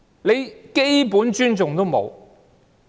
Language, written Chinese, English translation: Cantonese, 連基本的尊重也沒有。, He does not even show basic respect